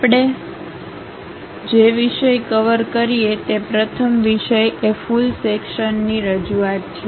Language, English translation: Gujarati, The first topic what we cover is a full section representation